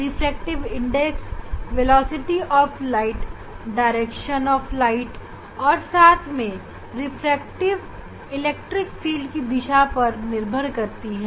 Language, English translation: Hindi, refractive index velocity of light depends on the direction of light as well as direction of electric field